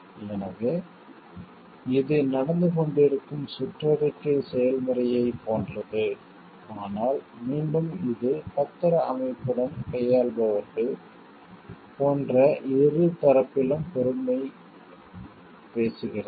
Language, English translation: Tamil, So, this is like an ongoing circular process, but again it talks of responsibility on both of sides like those who are dealing with the securities system